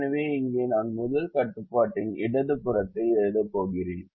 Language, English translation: Tamil, so here i am going to write the left hand side of the first constraint